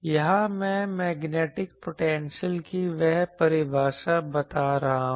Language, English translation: Hindi, Here, I am putting that definition of magnetic potential